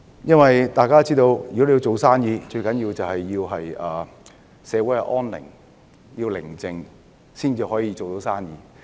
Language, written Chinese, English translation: Cantonese, 正如大家都知道，做生意的先決條件是社會安寧，社會寧靜，生意才能發展。, As we all know the prerequisite for doing business is peace in society . It is only when society is peaceful that business can develop